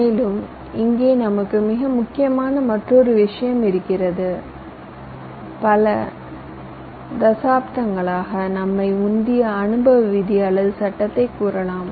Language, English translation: Tamil, and here we have another very important, you can say, empirical rule or law that has driven us over decades